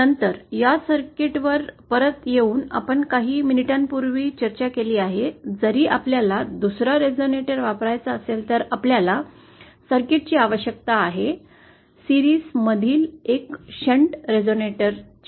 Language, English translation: Marathi, Then coming back to this circuit that we discussed a few minutes ago, if we have to use another resonator, we essentially need a circuit, a hunter resonator in series